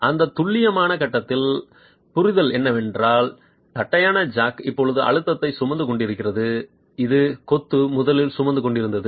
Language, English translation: Tamil, At that precise point the understanding is that the flat jack is now carrying the stress which the masonry originally was carrying